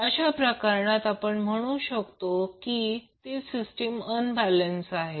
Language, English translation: Marathi, So in that case, we will say that the system is unbalanced